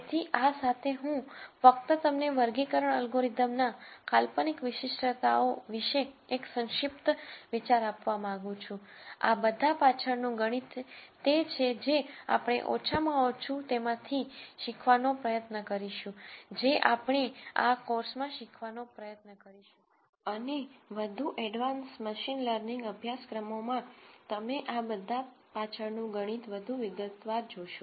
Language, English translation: Gujarati, So, with this I just wanted to give you a brief idea on the conceptual underpinnings of classification algorithms the math behind all of this is what we will try to teach at least some of it is what we will try to teach in this course and in more advance machine learning courses you will see the math behind all of this in much more detail